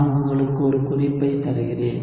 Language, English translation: Tamil, So I will give you a hint